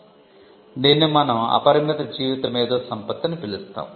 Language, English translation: Telugu, So, this is what we call an unlimited life intellectual property